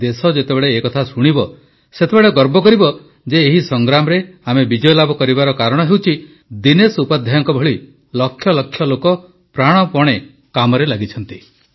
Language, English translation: Odia, When the country listens to this, she will feel proud that we shall win the battle, since lakhs of people like Dinesh Upadhyaya ji are persevering, leaving no stone unturned